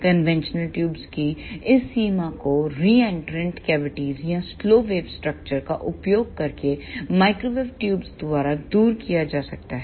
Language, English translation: Hindi, This limitation of conventional tubes can be overcome by microwave tubes by using reentrant cavities or the slow wave structures